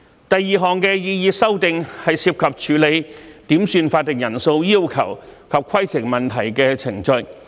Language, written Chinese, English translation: Cantonese, 第二項擬議修訂，是涉及處理點算法定人數要求及規程問題的程序。, The second proposed amendment relates to the procedures for dealing with quorum calls and points of order